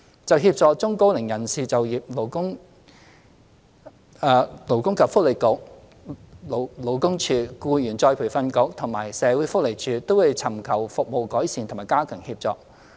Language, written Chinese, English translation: Cantonese, 就協助中高齡人士就業，勞工及福利局、勞工處、僱員再培訓局及社會福利署，均會尋求服務改善及加強協助。, As for the employment assistance provided to the elderly and the middle - aged the Labour and Welfare Bureau the Labour Department the Employees Retraining Board and the Social Welfare Department will seek to enhance their services and step up the assistance offered